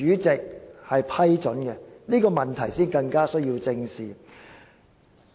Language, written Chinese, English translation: Cantonese, 這問題反而更需要正視。, This is rather in greater need of our attention